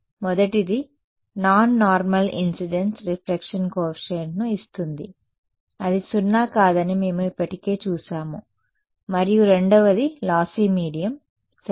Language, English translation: Telugu, The first is of course that non normal incidence gives a reflection coefficient that is non zero we already saw that and the second is lossy mediums ok